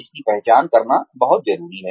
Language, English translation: Hindi, It is very important to identify this